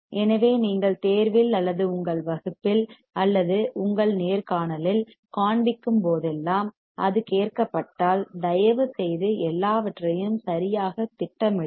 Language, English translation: Tamil, So, whenever you show in exam or in your class or in your interview, if it is asked, please plot everything correctly